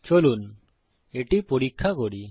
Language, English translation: Bengali, Lets test it out